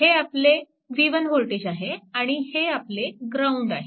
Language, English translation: Marathi, Right and this voltage is v 1 means